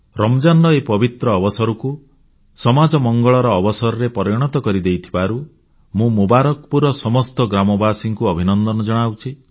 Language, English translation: Odia, I felicitate the residents of Mubarakpur, for transforming the pious occasion of Ramzan into an opportunity for the welfare of society on